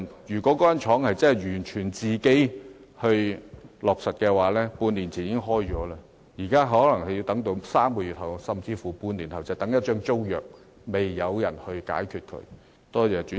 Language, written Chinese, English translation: Cantonese, 如果該間紡紗廠真是完全能自行作主，半年前已開業了，現在則可能要再等3個月甚至半年才能開業，等的就是一份尚待解決的租約。, If the spinning mill concerned could make its own decision in all aspects it would start operating half a year ago . Now it probably has to wait three more months or even half a year before it can start operating pending the settlement of the tenancy agreement